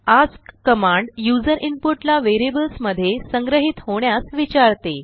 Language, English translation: Marathi, ask command asks for user input to be stored in variables